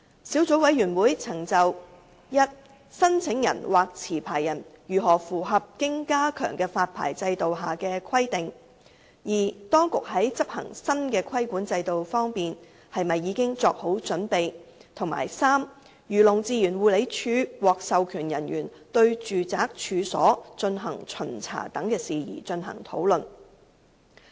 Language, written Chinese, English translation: Cantonese, 小組委員會曾就 i 申請人或持牌人如何符合經加強的發牌制度下的規定，當局在執行新的規管制度方面是否已經作好準備；及漁農自然護理署獲授權人員對住宅處所進行巡查等事宜，進行討論。, The Subcommittee has discussed i how the applicant or licence holder can comply with the requirements of the enhanced licensing regime; ii whether the authorities are ready to implement the new regulatory regime and iii inspections by authorized officers of Agriculture Fisheries and Conservation Department AFCD in the domestic premises etc